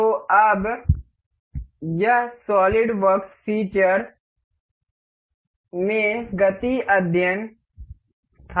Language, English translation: Hindi, So, now, this was the motion study in the solidworks features